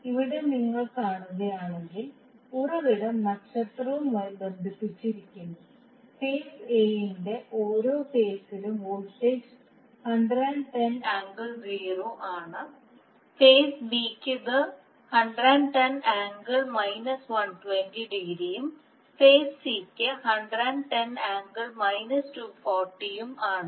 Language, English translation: Malayalam, So here if you see, the source is star connected, the per phase voltage is 110 angle zero degree for Phase A, for phase B it is 110 angle minus 120 and for phase C it is 110 minus 240